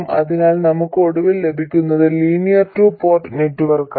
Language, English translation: Malayalam, So, what we get finally is a linear two port network